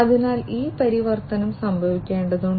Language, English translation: Malayalam, So, this transformation will have to take place